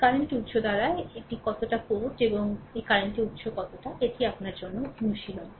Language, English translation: Bengali, How much power by this one this current source, and how much by this current source, this is an exercise for you